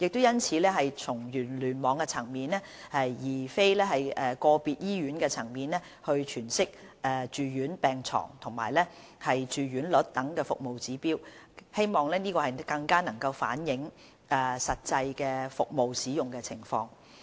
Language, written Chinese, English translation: Cantonese, 因此，從聯網層面而非個別醫院層面詮釋住院病床住用率等服務指標，更能反映實際的服務使用情況。, Hence service indicators such as inpatient bed occupancy rate at cluster level instead of at hospital level can better reflect the actual service utilization